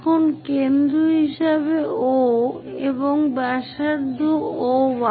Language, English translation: Bengali, Now, with O as center and radius O1